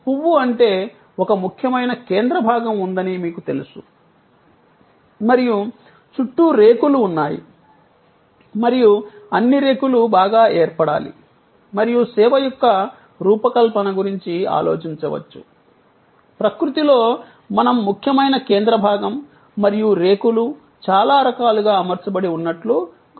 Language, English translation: Telugu, The flower means that, you know there is a core and there are petals around and all the petals must be well formed and the design of the service can we thought of, just as in nature we find that the core and the petals are arranged in so many different ways